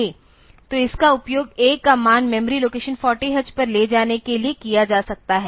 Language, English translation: Hindi, So, this can be used for moving the value of A onto memory location 40 h